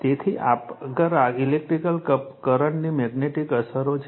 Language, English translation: Gujarati, So, next is your the magnetic effects of electric current